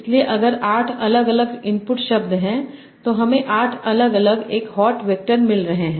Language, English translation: Hindi, So if there are 8 different input words, I am having 8 different 1 hot vectors